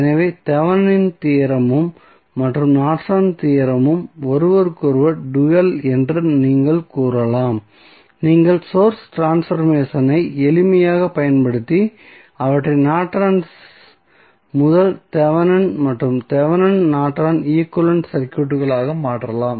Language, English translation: Tamil, So, we can say that the Thevenin theorem and Norton's theorem are dual to each other you can simply use the source transformation and convert them into the from Norton's to Thevenin and Thevenin's to Norton equivalent circuits